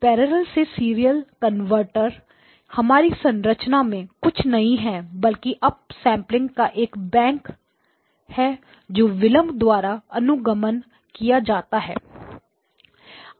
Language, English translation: Hindi, So this parallel to serial converter in our structure is nothing but a bank of up samplers followed by delays and then you add them to the other side